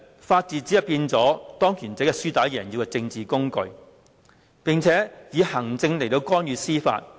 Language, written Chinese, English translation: Cantonese, 法治成為了當權者"輸打贏要"的政治工具，並且以行政干預司法。, The rule of law has become a political tool to ensure that those in power can get what they want and the executive branch has intervened with the operation of the judiciary